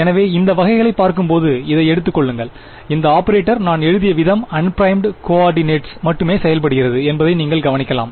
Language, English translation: Tamil, So, looking at this kind of a lets for example, take this you can notice that this operator the way I have written it only acts on unprimed coordinates